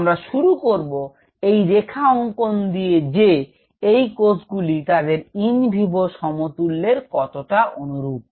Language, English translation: Bengali, We will start to draw the lines that how close are these cells to their in vivo counter parts